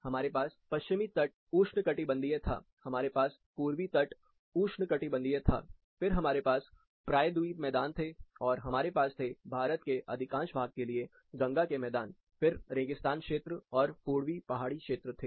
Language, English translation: Hindi, We had west coast tropical, we had east coast tropical then we had peninsula plains, Gangatic plains, for most part of India, then dessert areas, and then eastern hill areas